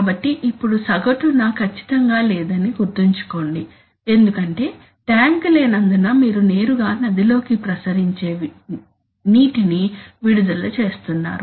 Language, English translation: Telugu, So now remember that there is no averaging strictly speaking, because of the fact that there is no tank you are actually directly releasing the effluent into the river